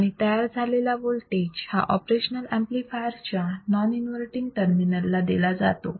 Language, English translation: Marathi, The signal is applied to the non inverting terminal of the operation amplifier